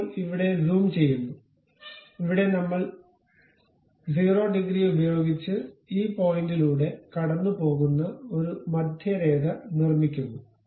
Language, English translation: Malayalam, Now, here zooming and here we make a center line which pass through this point with 0 degrees